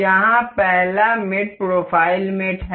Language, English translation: Hindi, The first mate here is profile mate